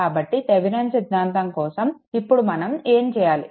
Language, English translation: Telugu, So, for Thevenin’s theorem, what we will do